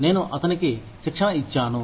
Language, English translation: Telugu, I trained him